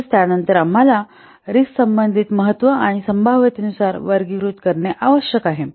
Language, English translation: Marathi, Then we have to classify by using the relative importance and the likelihood